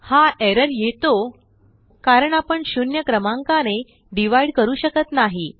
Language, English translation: Marathi, This error occurs as we cannot divide a number with zero